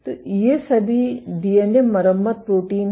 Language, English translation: Hindi, So, these are all DNA repair proteins